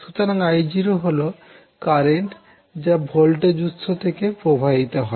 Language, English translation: Bengali, So, I naught is the current which is flowing from voltage source